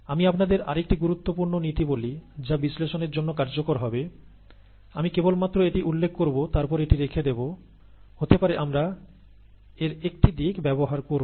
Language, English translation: Bengali, Let me tell you another important principle that will be useful for analysis, I will just mention it to you and then leave it there, may be we will use one aspect of it